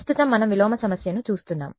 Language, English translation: Telugu, Right now we are looking at inverse problem